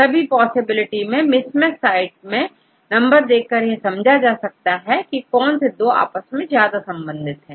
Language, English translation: Hindi, Among the all possibilities you can get the number of mismatching sites from this which two are close to each other